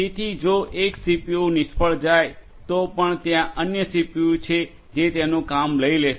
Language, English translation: Gujarati, So, even if one CPU fails there are other you know CPUs which will be here to take over